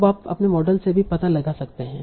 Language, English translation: Hindi, Now you can also find out from your model itself